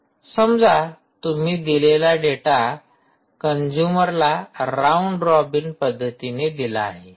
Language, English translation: Marathi, lets say, you know, giving data or for consumers, data can be served in a round robin fashion